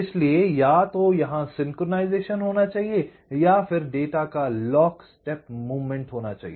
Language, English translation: Hindi, so there should be a synchronization or a lock step movement of the data